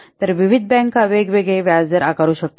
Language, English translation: Marathi, So, different banks may charge different interest rates